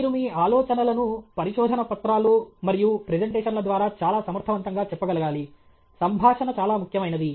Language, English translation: Telugu, You should be able to communicate your ideas through papers and presentations very effectively; communication is very, very important